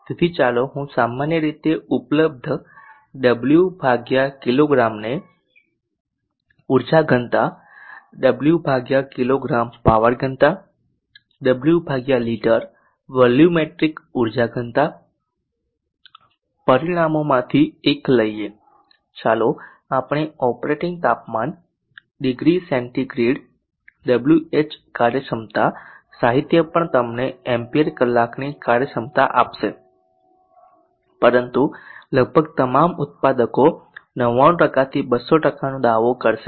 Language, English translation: Gujarati, Let us do some comparing of batteries so let P type of one of the parameters combine available watt over per kg the energy density watt per kg power density watt over liter volumetric energy density let us take the operating temperature degree centigrade watt over efficiency literature will also give you ampere power efficiency but almost all manufactures will claim 99% 200%